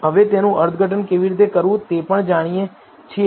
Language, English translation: Gujarati, We also know how to interpret it now